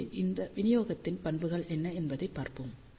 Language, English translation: Tamil, So, what are the properties of this distribution let us look at these